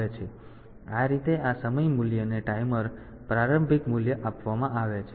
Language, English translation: Gujarati, So, this way given this time value the timer initial value